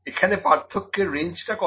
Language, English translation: Bengali, What is the range of difference